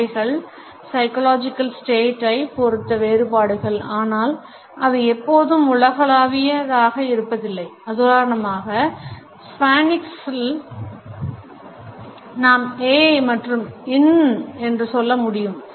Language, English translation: Tamil, They differentiate amongst psychological states in but are not always universal, for example in Spanish we can say ay and in English we can say ouch for the same phenomena